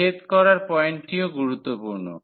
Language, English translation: Bengali, The point of intersection that is also important